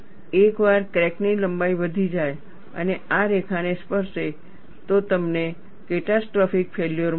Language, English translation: Gujarati, Once the crack length increases and touches this line, you will have a catastrophic failure